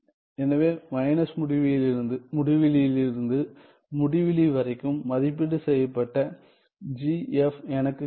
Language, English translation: Tamil, So, I get g f evaluated at minus infinity to infinity, and then minus integral f g from minus infinity to infinity